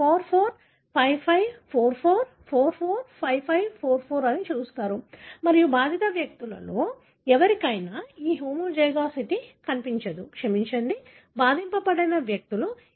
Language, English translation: Telugu, You see that 4 4, 5 5, 4 4, 4 4, 5 5, 4 4 and you do not find that homozygosity in any of the affected individuals, sorry unaffected individuals